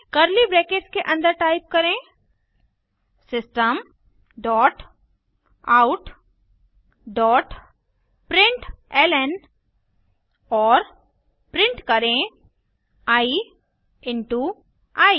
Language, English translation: Hindi, Inside the curly brackets type System dot out dot println and print i into i